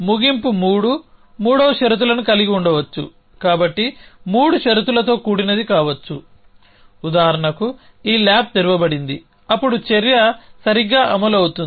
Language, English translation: Telugu, End 3 end may have 3 conditions so 3 conditional could be the for example, this a lab is opened that is the lab is open at this point of time then the action will execute correctly